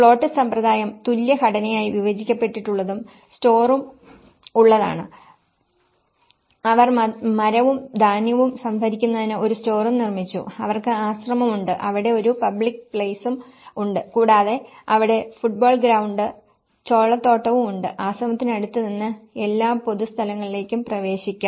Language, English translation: Malayalam, And is the plot system which has been subdivided into equal composition and we have the store for, they built a store and corn for storing the wood and they also have the monastery and they built some kind of public spaces where there has a football ground and the maize field and you know, there is all the public space access near to the monastery